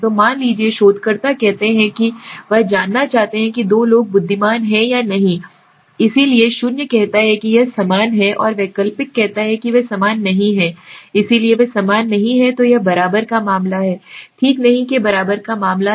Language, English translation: Hindi, So suppose the researcher says he wants to know the intelligent of two people are same or not same, so the null says it is same and the alternate says no they are not same so they are not equal to so this is the case of equal to this is the case of not equal to okay